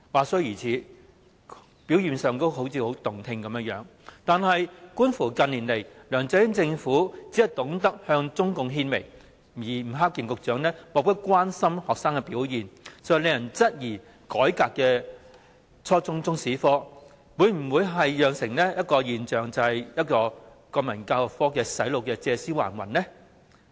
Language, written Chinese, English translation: Cantonese, 雖然這番話聽起來很動聽，但觀乎近年梁振英政府只懂向中共獻媚，以及吳克儉局長對學生的表現漠不關心，實在使人質疑改革後的初中中史科，會否只是洗腦國民教育科"借屍還魂"的現象呢？, This sounds quite appealing . Yet given that the LEUNG Chun - yings Administration has been trying to ingratiating with the Communist Party of China in recent years and Secretary Eddie NG has been indifferent towards students performance one really queries whether the revised Chinese History curriculum at junior secondary level will merely be a reincarnation of the brainwashing national education subject